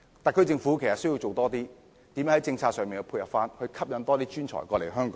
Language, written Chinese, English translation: Cantonese, 特區政府需要多下工夫，想想如何在政策上作出配合，吸引更多專才來港。, The SAR Government needs to make more efforts and conceive complementary initiatives policy - wise so as to attract more professionals to Hong Kong